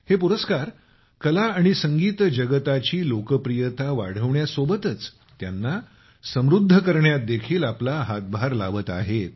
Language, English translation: Marathi, These, along with the rising popularity of the art and music world are also contributing in their enrichment